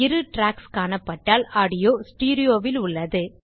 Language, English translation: Tamil, If there are 2 tracks, then the audio is in STEREO